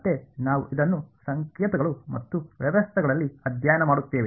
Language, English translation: Kannada, Again we study this in signals and systems